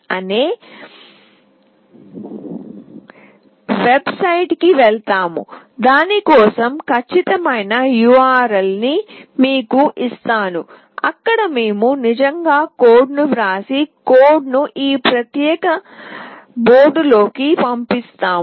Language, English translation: Telugu, org, I will give you the exact URL for it, and there we actually write the code and dump the code into this particular board